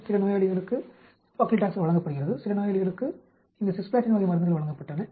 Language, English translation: Tamil, So, some patients are given Paclitaxel, some patients were given this Cisplatin type of drugs